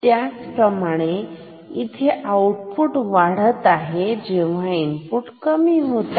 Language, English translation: Marathi, Similarly here you see input decreasing, output decreasing